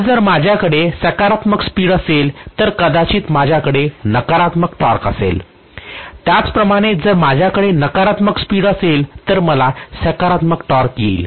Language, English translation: Marathi, So if I am going to have positive speed I might have maybe negative torque, similarly if I have negative speed I am going to have positive torque